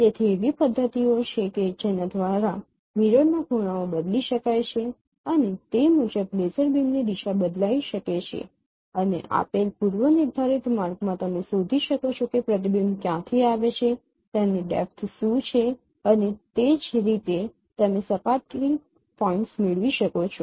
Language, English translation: Gujarati, So there are mechanisms by which the mirror angles could be varying and accordingly the direction of laser beam could be varied and in a given predetermined path you can find out that what is the depth from where the reflection came and that is how you can get the surface points